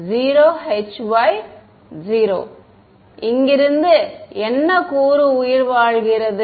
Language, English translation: Tamil, 0 h y 0 ok, what component survives from here